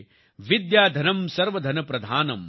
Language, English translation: Gujarati, Vidyadhanam Sarva Dhanam Pradhanam